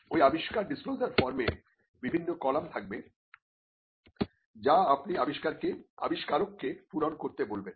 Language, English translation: Bengali, The invention disclosure form will have various columns which you would ask the inventor to fill